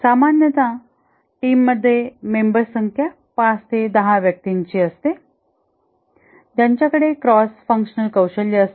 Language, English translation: Marathi, The team members typically 5 to 10 people, they have cross functional expertise